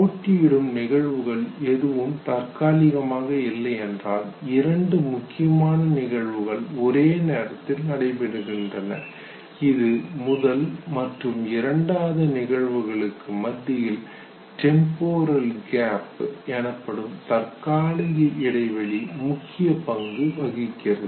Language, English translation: Tamil, If there are no competing events temporarily two significant events take place at the same time what is the temporal gap between the first and second event that would also play a role